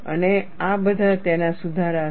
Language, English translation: Gujarati, And these are all corrections to it